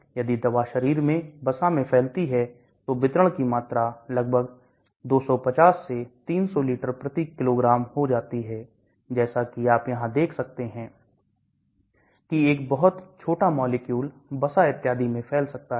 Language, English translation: Hindi, If the drug diffuses into the body fat then the volume of distribution goes up to almost 250 to 300 liter/kg, as you can see here a very small molecule can diffuse into the fat and so on